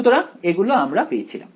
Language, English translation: Bengali, So, that is what we have over here